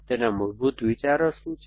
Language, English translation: Gujarati, What are the basic ideas of